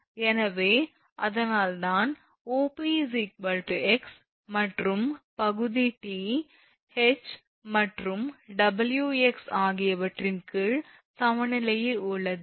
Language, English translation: Tamil, So, that is why OP is equal to x and the portion OP is in equilibrium under the action of T, H and Wx